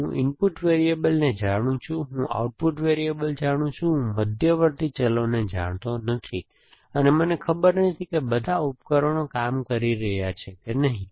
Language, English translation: Gujarati, So, I know, I know the input variables, I know the output variables, I do not know the intermediate variables and I do not know whether all the devices are working or not